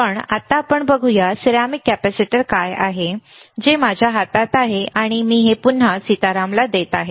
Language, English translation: Marathi, But, right now let us see if the ceramic capacitor is there, which is in my hand and I am giving to again to Sitaram